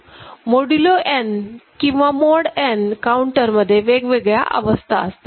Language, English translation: Marathi, And for modulo n counter, n different states are there